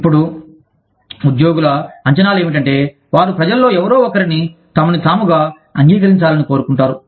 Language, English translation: Telugu, Now, the expectations of the employees are that, people that they are, they want somebody, to accept them, as they are